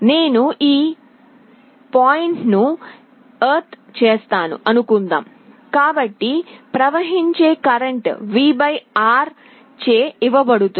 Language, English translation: Telugu, Suppose I ground this point, so the current that will be flowing will be given by V / R